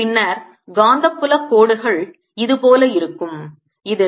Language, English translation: Tamil, then the magnetic field lines look like this: they where around circles